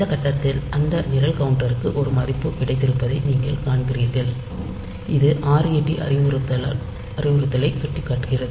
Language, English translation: Tamil, So, you see that program counter at this point program counter has got a value which is pointing to the at the ret instruction